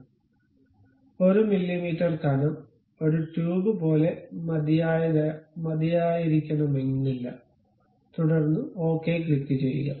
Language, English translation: Malayalam, We do not really require that thickness may be 1 mm thickness is good enough like a tube, then click ok